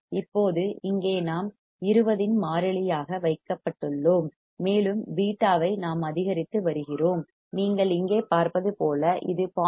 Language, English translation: Tamil, Now, here we are we are kept a constant of 20, and we are increasing the beta like you see here this is 0